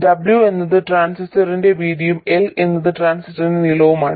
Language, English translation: Malayalam, And w is the width of the transistor and L is the length of the transistor